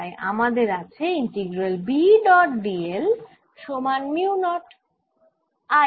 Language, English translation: Bengali, so i have integral v dot d l equals mu, not i nif